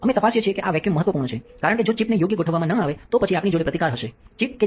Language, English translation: Gujarati, So, we check that the vacuum is this is important because if the chip is misaligned, then we will have a resist